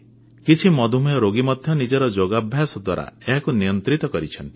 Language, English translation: Odia, Some diabetic patients have also been able to control it thorough their yogic practice